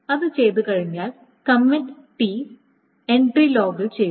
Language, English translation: Malayalam, And then once that is done, the commit T entry is made in the log